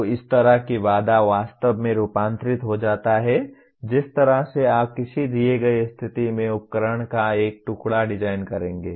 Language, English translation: Hindi, So this kind of constraint will actually translate into the way you would design a piece of equipment in a given situation